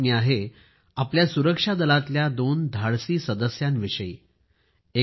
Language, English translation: Marathi, This is the news of two brave hearts of our security forces